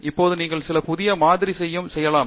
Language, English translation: Tamil, Now, you can try some new sample